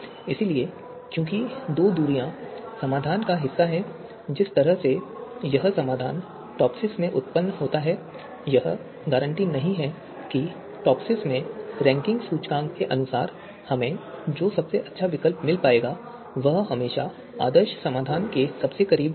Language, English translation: Hindi, So this because two distances are part of the solution the way this solution is generated in TOPSIS it is not guaranteed that the as per the ranking index in TOPSIS the best alternative that we get is always going to be closest to the ideal solution